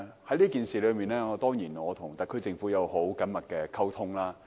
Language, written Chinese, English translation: Cantonese, 就有關政策，我當然一直與特區政府保持緊密溝通。, Of course I have always maintained close contacts with the SAR Government on all such policies